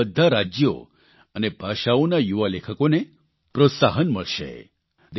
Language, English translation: Gujarati, This will encourage young writers of all states and of all languages